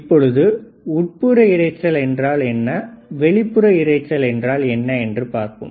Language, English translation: Tamil, Now, what are external, internal noise, you see external noise internal noise